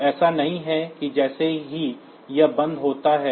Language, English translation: Hindi, So, it is not that as soon as it rolls off